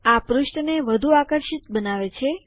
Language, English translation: Gujarati, This makes the page look more attractive